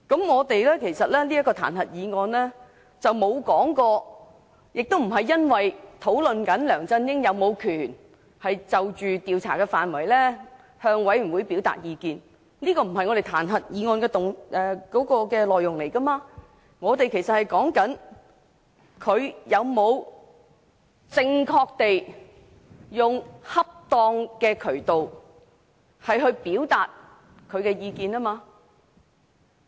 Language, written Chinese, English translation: Cantonese, 我們的彈劾議案不是討論梁振英是否有權就調查範圍向專責委員會表達意見，這不是彈劾議案的內容，我們討論的是他有否正確地用恰當的渠道表達意見。, This impeachment motion is not about whether LEUNG Chun - ying has the right to express his views on the scope of inquiry of the Select Committee . That is not the contents of the impeachment motion . We are discussing whether LEUNG Chun - ying had used a proper channel to express his views